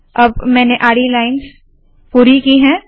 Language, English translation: Hindi, So now I have completed the horizontal lines